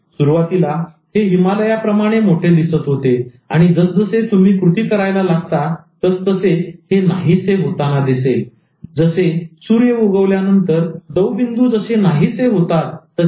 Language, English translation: Marathi, Initially, it looked like a huge Himalayan mountain and very soon once you start taking action, it disappears like dew when the sun arrives